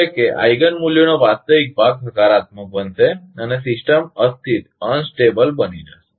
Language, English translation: Gujarati, Means, the real part of Eigen values becoming positive and system will become unstable